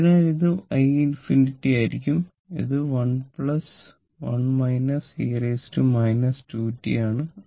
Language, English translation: Malayalam, So, you will get i t is equal to 2